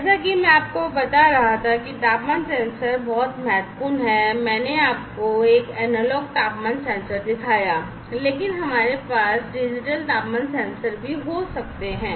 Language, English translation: Hindi, As I was telling you that temperature sensors are very important I have shown you an analog temperature sensor, but we could also have digital temperature sensors